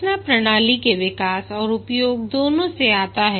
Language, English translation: Hindi, Learning comes from both the development and use of the system